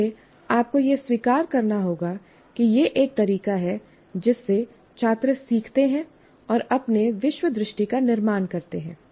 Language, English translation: Hindi, So this, again, you have to acknowledge this is a way the students learn and construct their worldview